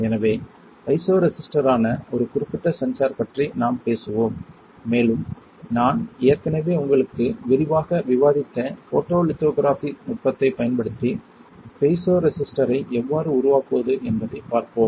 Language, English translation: Tamil, So, that is the idea we will talk about one particular sensor which is a piezoresistor and we will see how can we fabricate piezo resistor using photolithography technique which I have already discussed with you in detail